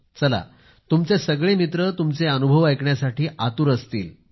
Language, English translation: Marathi, Your friends must be eager to listen to your experiences